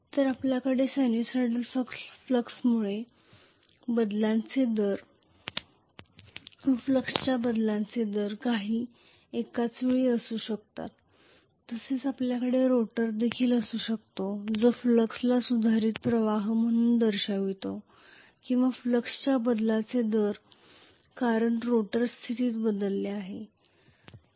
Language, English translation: Marathi, So we can have simultaneously rate of change of flux because of sinusoidal flux as well as we can have a rotor which is visualizing the flux as a modified flux or rate of change of flux because of the rotor position itself is changed